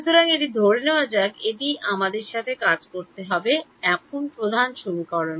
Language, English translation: Bengali, So, this is let us assume that this is the main equation that we have to work with